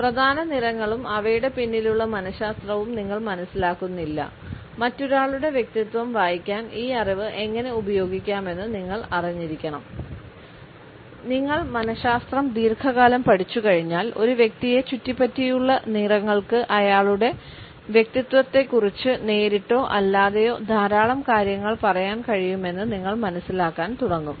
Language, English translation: Malayalam, Neither you understand the major colors and the psychology behind them, you should know how this knowledge can be used to read another person’s personality Once you have studied psychology long enough, you will start to realize that the colors surrounding a person can directly or indirectly tell you a lot about his personality